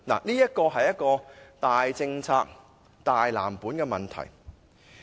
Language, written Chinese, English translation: Cantonese, 這是大政策、大藍圖的問題。, What the matter involves is a major policy and blueprint